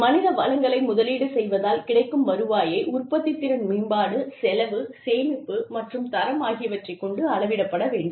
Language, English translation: Tamil, Return on investment in human resources, should be measured by, improvements in productivity, cost savings, and quality